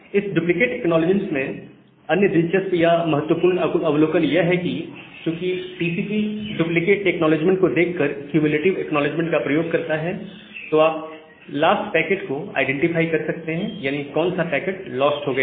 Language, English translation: Hindi, Now, another important or interesting observation from this duplicate acknowledgement is that because TCP uses cumulative acknowledgement, by looking into the duplicate acknowledgement, you can identify the lost packet, that which packet has been lost